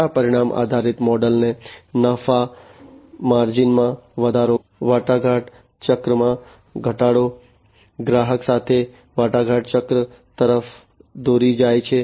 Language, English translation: Gujarati, These outcome based model, it leads to increased profit margin, reduced negotiation cycle, negotiation cycle with the customer